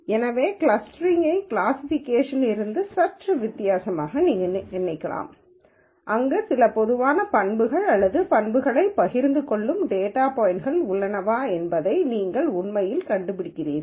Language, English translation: Tamil, So, you might think of clustering as slightly different from classification, where you are actually just finding out if there are data points which share some common characteristics or attributes